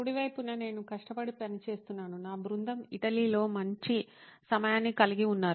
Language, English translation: Telugu, On the right hand side is me working hard, while my team was having a good time in Italy